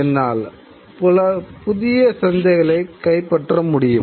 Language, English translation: Tamil, I can take over newer markets